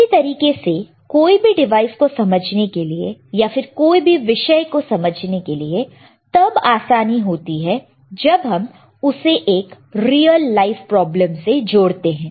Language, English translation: Hindi, Same way any understanding of any devices understanding of any subject can we make easier when we connect it to a real life problem, all right